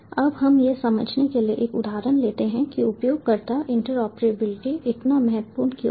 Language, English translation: Hindi, right now, let us take an example to understand why user interoperability is so important